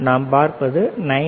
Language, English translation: Tamil, Here is about 19